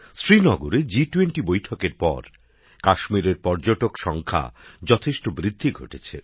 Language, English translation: Bengali, After the G20 meeting in Srinagar, a huge increase in the number of tourists to Kashmir is being seen